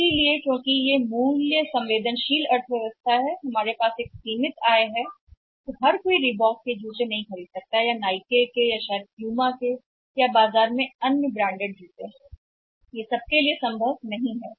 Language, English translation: Hindi, So, because it is a price sensitive economy we have a limited income we cannot everybody cannot go to buy the Reebok shoes or may be the Nike shoes or maybe the Puma shoes or maybe some some some branded products in the market that is not possible for all